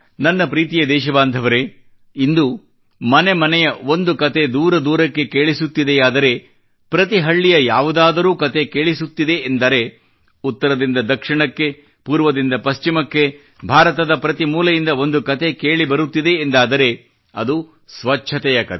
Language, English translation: Kannada, My dear countrymen, today, if one story that rings from home to home, and rings far and wide,is heard from north to south, east to west and from every corner of India, then that IS the story of cleanliness and sanitation